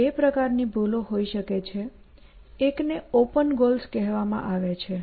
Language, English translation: Gujarati, There are two kinds of flaws; one is called open goals